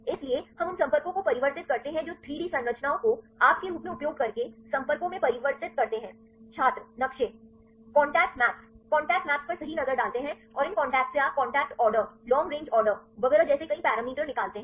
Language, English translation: Hindi, So, we convert the contacts right the 3 d structures you convert into contacts using in the form of; maps Contact maps right look at the contact maps and from these contacts you deduce various parameters like contact order long range order and so on